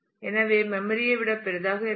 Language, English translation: Tamil, So, it could be larger than memory if that